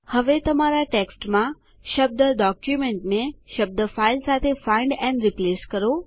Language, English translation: Gujarati, Now Find and Replace the word document in your text with the word file